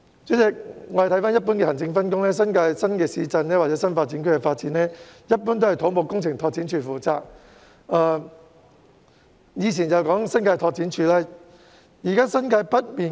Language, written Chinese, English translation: Cantonese, 主席，按一般的行政分工，新界新市鎮或新發展區的發展均由土木工程拓展署負責，以前則由新界拓展署負責。, President administratively speaking the development of new towns or NDAs in the New Territories is usually the work of the Civil Engineering and Development Department CEDD and was the work of the Territory Development Department in the past